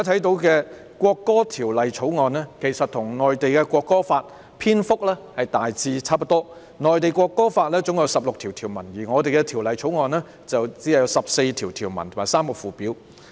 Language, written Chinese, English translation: Cantonese, 我們現在看到的《條例草案》，其實與《中華人民共和國國歌法》的篇幅大致相若，內地《國歌法》總共有16項條文，而我們的《條例草案》則有14項條文和3個附表。, As a matter of fact the Bill we now see is roughly of the same length as the Law of the Peoples Republic of China on the National Anthem . The National Anthem Law of the Mainland consists of 16 articles whereas our Bill comprises 14 clauses and three schedules